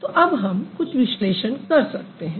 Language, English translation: Hindi, So, now let's do some analysis